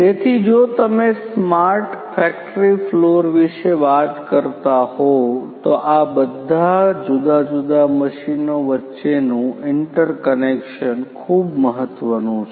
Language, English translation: Gujarati, So, if you are talking about a smart factory floor the interconnection between all these different machines is very important